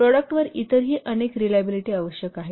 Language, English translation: Marathi, So there are several other reliability requirements on the product